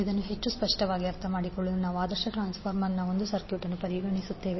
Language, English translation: Kannada, So to understand this more clearly will we consider one circuit of the ideal transformer